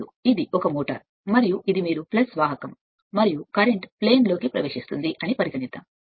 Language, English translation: Telugu, Now, this is a motor right and this is suppose you take the your plus that conductor right and current is entering into the plane